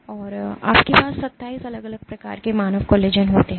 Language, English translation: Hindi, And you have 27 distinct types of human collagen